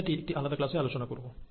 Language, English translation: Bengali, So I’ll cover that in a separate class